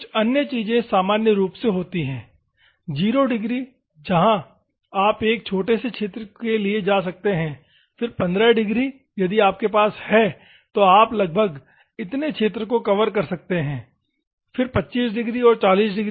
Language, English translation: Hindi, Some other things are there normally, 0 red where you can go for a small region, then 15 degrees, if you have then you can cover approximately this much region and 25 degrees and 40 degrees